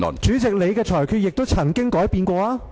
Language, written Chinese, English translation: Cantonese, 主席，你的裁決亦曾改變。, But President there have been past cases where your rulings were changed